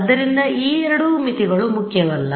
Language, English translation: Kannada, So, these two boundaries are not important